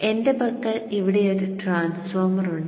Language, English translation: Malayalam, I have here a transformer with me